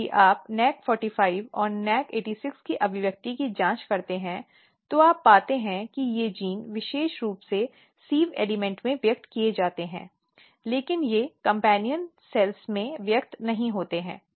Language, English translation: Hindi, Then if you check the expression of NAC45 and NAC86 itself what you find that these genes are very specifically expressed in the sieve element, but they do not express in the companion cell